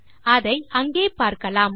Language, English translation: Tamil, You can see that there